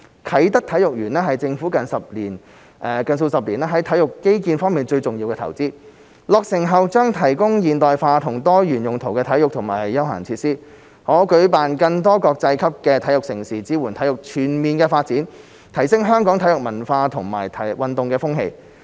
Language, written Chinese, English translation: Cantonese, 啟德體育園是政府近數十年在體育基建方面最重要的投資，落成後將提供現代化和多用途的體育和休憩設施，可舉辦更多國際級的體育盛事，支援體育全面發展，提升香港的體育文化和運動風氣。, Kai Tak Sports Park is the most important government investment in sports infrastructure in recent decades . After completion it will provide modern and multipurpose sports and passive amenities for hosting more international mega sports events supporting the overall development of sports and improving the sports culture and sports atmosphere in Hong Kong